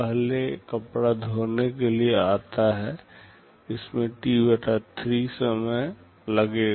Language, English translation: Hindi, The first cloth comes for washing, this will be taking T/3 time